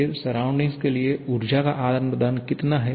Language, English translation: Hindi, Then, for the surrounding how much is energy interaction